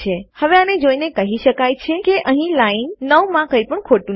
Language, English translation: Gujarati, Now looking at that, there is nothing wrong with line 9